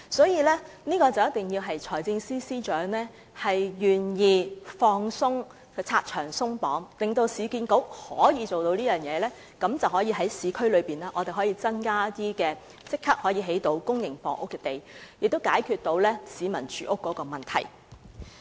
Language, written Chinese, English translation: Cantonese, 因此，只要財政司司長願意拆牆鬆綁，讓市建局可以採取這種發展模式，市區的公營房屋用地便可以立即增加，從而解決市民的住屋問題。, For these reasons as long as the Financial Secretary is willing to remove the constraints and allow URA to take this development approach the number of public housing sites in the urban area can be increased immediately and peoples housing difficulties can in turn be resolved